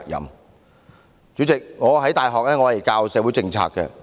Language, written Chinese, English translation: Cantonese, 代理主席，我在大學教授社會政策。, Deputy President I teach social policies in the university